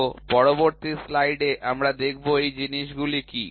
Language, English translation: Bengali, So, in the next slide we will see what are these things